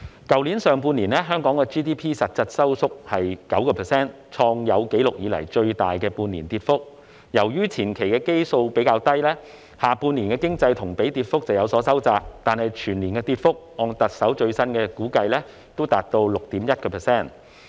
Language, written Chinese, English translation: Cantonese, 去年上半年，香港 GDP 實質收縮 9%， 創有紀錄以來最大的半年跌幅，而由於前期基數比較低，下半年的經濟同比跌幅便有所收窄，但按特首最新的估計，全年跌幅仍達 6.1%。, In the first half of last year Hong Kongs GDP shrunk by 9 % in real terms recording the largest decline for a six - month period . Given a comparatively low base number in the previous period the year - on - year economic decline in the latter half of the year has narrowed but according the latest estimation by the Chief Executive the decline will still be 6.1 % for the whole year